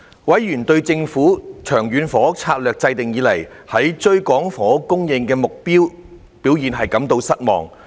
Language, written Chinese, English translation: Cantonese, 委員對政府自《長遠房屋策略》制訂以來，在追趕房屋供應目標的表現感到失望。, Members expressed disappointment with the performance of the Government in catching up with the housing supply target since it formulated the Long Term Housing Strategy